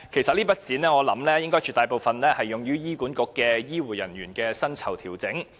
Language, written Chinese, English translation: Cantonese, 我估計這筆款項絕大部分用於醫院管理局的醫護人員薪酬調整。, I surmise that the amount is mostly used for the pay adjustment of health care workers of the Hospital Authority HA